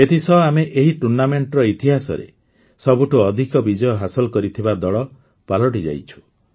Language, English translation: Odia, With that, we have also become the team with the most wins in the history of this tournament